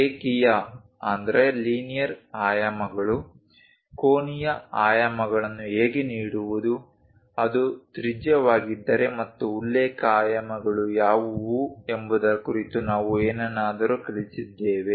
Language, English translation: Kannada, We learned something about linear dimensions, how to give angular dimensions, if it is radius and what are reference dimensions